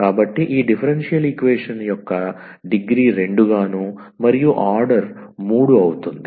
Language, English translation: Telugu, So, the degree of this differential equation is 2 and the order is s 3